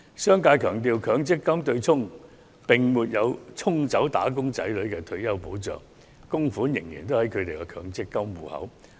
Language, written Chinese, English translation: Cantonese, 商界強調，強積金對沖安排並沒有沖走"打工仔女"的退休保障，供款仍然在他們的強積金戶口內。, The business sector must stress that the retirement protection for wage earners has in no way been swept away by the offsetting arrangement under the MPF System and the contributions are still in their MPF accounts